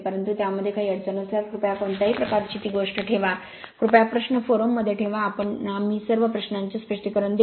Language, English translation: Marathi, But if you have that any problem anything you please put any sort of thing please put the question in the forum we will clarify all your all your queries right